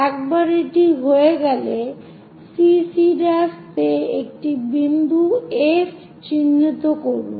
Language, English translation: Bengali, Once it is done mark a point F on CC prime